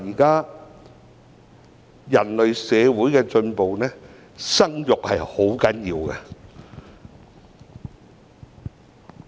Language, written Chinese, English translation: Cantonese, 對人類社會的進步來說，生育十分重要。, Currently In terms of progress of human society procreation is very important